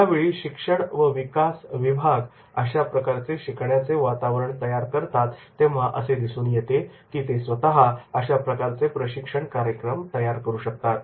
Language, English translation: Marathi, Whenever a learning and development department is able to create an environment of learning, then in that case you will find that is they are able to develop these type of these programs